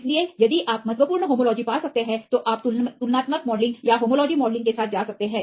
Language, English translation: Hindi, So, if you can find significant homology then you can go with the comparative modelling or homology modelling fine